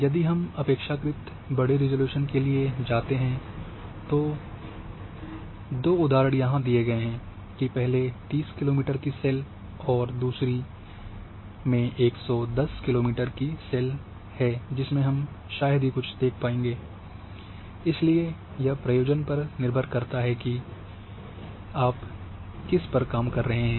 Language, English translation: Hindi, If we go for relatively coarser resolution two examples are given here that a 30 kilometre cells like this or 110 kilometre cells hardly anything can be seen, so this is depending for on what problems you are working